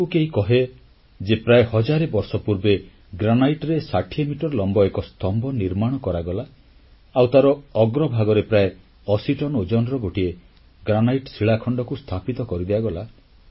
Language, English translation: Odia, Would you believe if someone tells you that about a thousand years ago, an over sixty metrestall pillar of granite was built and anothergranite rock weighing about 80 tonnes was placed over its top